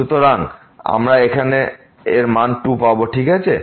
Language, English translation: Bengali, So, we will get here the value 2 ok